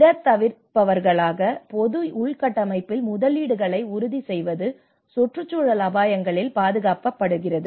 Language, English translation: Tamil, As risk avoiders, ensuring investments in public infrastructure are protected in environmental hazards